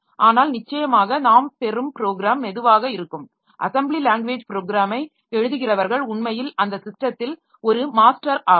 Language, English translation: Tamil, But definitely the program that we get will be slow like assembly level assembly level language program when somebody is writing he is actually a master in that system